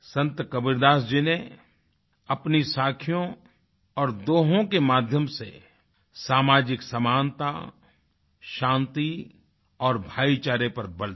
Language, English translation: Hindi, Sant Kabir Das ji, through his verses 'Saakhis' and 'Dohas' stressed upon the virtues of social equality, peace and brotherhood